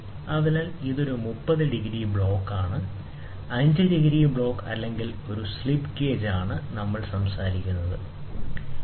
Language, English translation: Malayalam, So, this is a 30 degree block, and this is 5 degree block 5 degree block or a slip gauge, whatever we are talking about